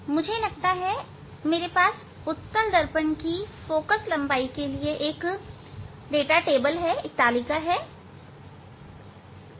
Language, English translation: Hindi, I think I have a table data for focal length of convex mirror